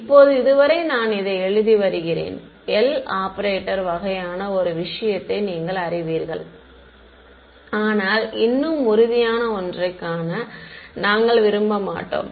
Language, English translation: Tamil, Now, so far I have been writing this is as a very abstract you know L operator kind of thing, but we will not want to see something more concrete